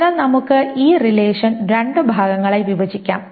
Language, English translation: Malayalam, So we will break this relation into two parts